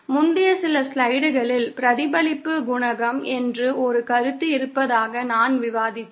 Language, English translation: Tamil, As I was discussing in the previous few slides that there is a concept called reflection coefficient